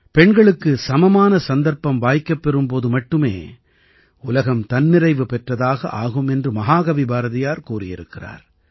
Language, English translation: Tamil, Mahakavi Bharatiyar ji has said that the world will prosper only when women get equal opportunities